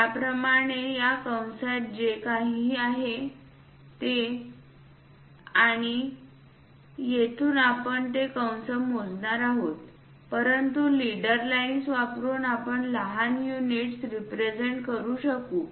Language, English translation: Marathi, Similarly, something like this arc is there and from here we are going to measure that arc, but using leader lines we will be in a position to represent the small units